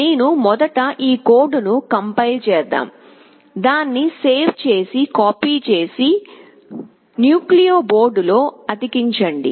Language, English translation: Telugu, Let me compile this code first, save it then copy it, paste it on the nucleo board